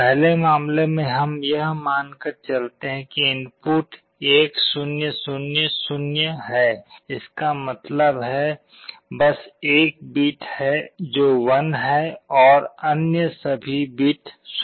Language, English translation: Hindi, The first case let us assume that the input is 1 0 0 0; that means, just one bit is 1 and the all other bits are 0